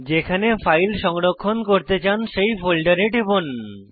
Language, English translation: Bengali, Click on the folder where you want to save your file